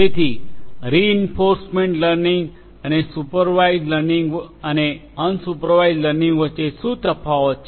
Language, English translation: Gujarati, So, what are the differences between reinforcement learning, supervised learning and unsupervised learning